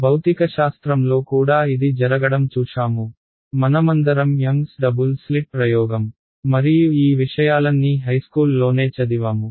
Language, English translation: Telugu, In physics also we have seen this happen all of us have studied Young’s Double Slit experiment and all of these things in high school right